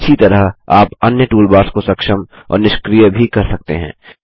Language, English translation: Hindi, Similarly, you can enable and disable the other toolbars, too